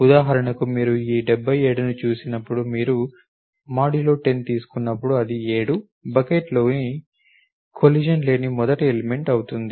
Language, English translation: Telugu, So, when you look at this 77 for example, when you take percent 10 it goes into the seventh bucket is the first element there is no collision